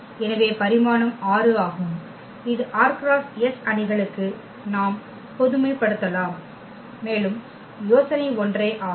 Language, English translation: Tamil, So, the dimension is 6 which we can generalize for r by s matrices also the idea is same